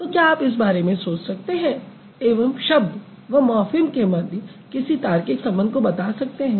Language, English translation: Hindi, So, can you think about and come up with a logical relation between word and morphem